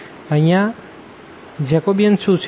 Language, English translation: Gujarati, So, what is this Jacobian here